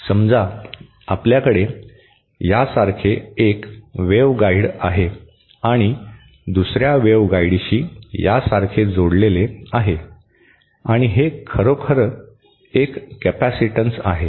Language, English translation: Marathi, So, suppose we have one waveguide like this and connected to another waveguide like this and this is actually a capacitance